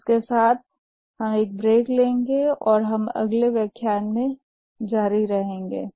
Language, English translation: Hindi, With this, we'll just take a break and we'll continue in the next lecture